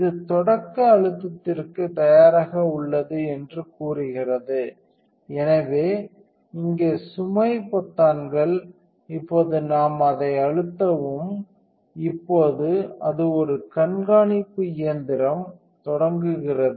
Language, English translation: Tamil, So, it says the ready for start press load button, so the load buttons right here, now we press that and now it is a watch out machine is starting up